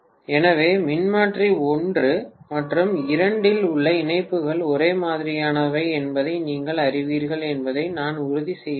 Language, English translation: Tamil, So I have to make sure that basically you know the connections in transformer 1 and 2 are the same